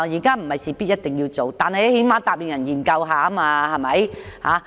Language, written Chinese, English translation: Cantonese, 當局不是一定要這樣做，但最低限度答應會研究一下。, I am not pressing the Government to implement this proposal but it should at least agree to give due consideration